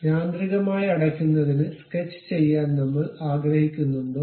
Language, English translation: Malayalam, Would you like to sketch to be automatically close